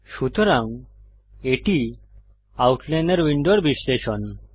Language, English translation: Bengali, So this is the breakdown of the outliner window